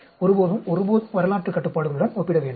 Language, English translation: Tamil, Never, never compare with the historical controls